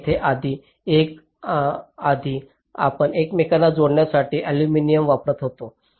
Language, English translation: Marathi, so here, um, in earlier we used aluminum for the interconnections